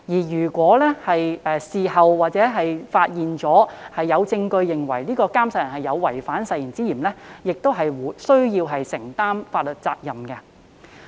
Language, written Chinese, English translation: Cantonese, 如事後發現並有證據證明宣誓人有違反誓言之嫌，宣誓人亦須承擔法律責任。, The person taking the oath would still be held liable if it was later found that there was evidence of any suspected breach of the oath